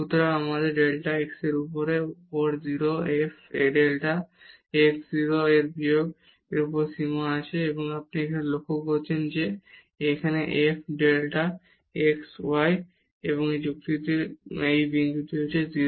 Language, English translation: Bengali, So, we have limit delta x to 0 f delta x 0 minus f 0 0 over delta x and now you note that this f delta x 0